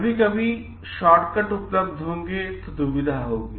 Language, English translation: Hindi, There will be sometimes shortcuts available